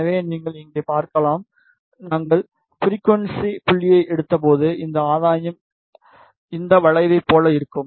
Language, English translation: Tamil, When we took the frequency point, this gain will look like this curve